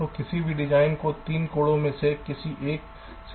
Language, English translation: Hindi, so any design can be viewed from any one of the three angles